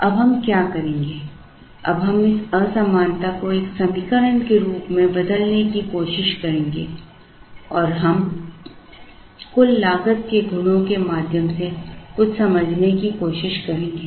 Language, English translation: Hindi, Now what we will do now is, we will try and replace this inequality with an equation and we try to understand something through the properties of the total cost